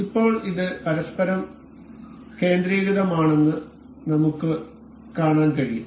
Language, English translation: Malayalam, Now, we can see this is concentric to each other